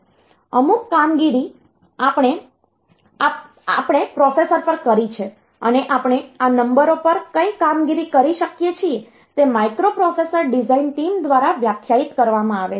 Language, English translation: Gujarati, So, certain operations we performed on the processor and what are the operations that we can do on this numbers that is defined by the microprocessor design team